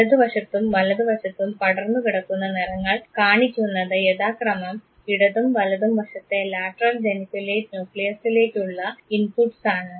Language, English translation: Malayalam, The spread of colors on the left and the right sides show the inputs to the left and the right lateral geniculate nucleus respectively